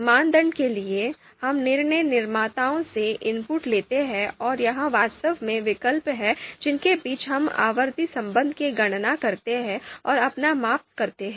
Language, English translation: Hindi, For the criteria, we you know take the input from decision makers and it is actually the alternatives among which we you know you know you know compute these outranking relation and do our measurement